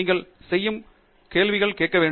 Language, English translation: Tamil, You have to ask questions now